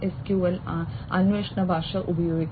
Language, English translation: Malayalam, NoSQL query language could be used